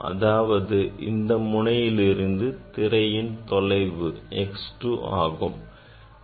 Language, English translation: Tamil, from this plate the distance of the screen is x 2